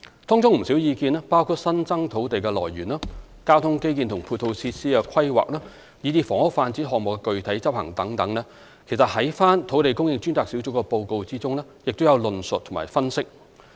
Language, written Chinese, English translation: Cantonese, 當中不少意見，包括新增土地的來源、交通基建及配套設施的規劃，以至房屋發展項目的具體執行等，其實在土地供應專責小組的報告中也有所論述及分析。, In fact many of the views including those on new sources of land supply the planning of transport infrastructure and ancillary facilities the actual implementation of housing development projects etc have been discussed and analysed in the report submitted by the Task Force on Land Supply